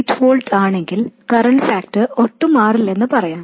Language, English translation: Malayalam, 8 volts and let's say the current factor doesn't change at all, what happens